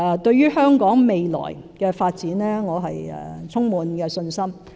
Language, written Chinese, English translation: Cantonese, 對於香港未來的發展，我充滿信心。, I have full confidence in the development of Hong Kong in the future